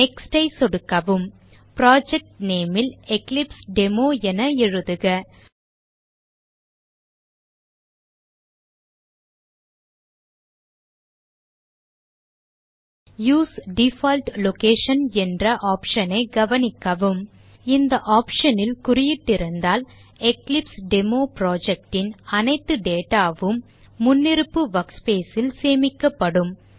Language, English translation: Tamil, Click Next In the project name, type EclipseDemo Notice an option that says use default location if this option is selected, all the EclipseDemo project data is stored in the default workspace